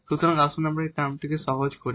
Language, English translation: Bengali, So, let us just simplify this term